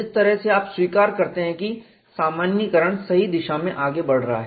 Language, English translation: Hindi, That way you accept that generalization is proceeding in the right direction